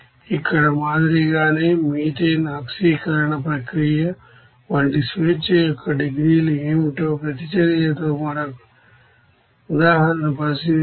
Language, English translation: Telugu, Like here if we consider another example with reaction what will be the degrees of freedom like methane oxidation process